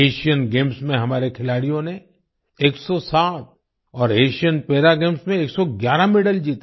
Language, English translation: Hindi, Our players won 107 medals in Asian Games and 111 medals in Asian Para Games